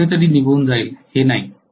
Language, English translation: Marathi, It is not that it will go away somewhere